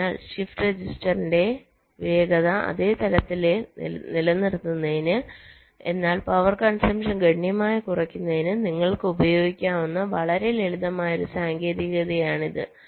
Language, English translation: Malayalam, so this is one very simple technique which you can use to increase the ah, to keep the speed of the shift register at this same level but to reduce the power consumption quite significantly